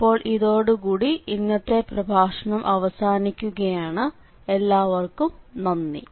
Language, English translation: Malayalam, So, that is all for this lecture and I thank you very much for your attention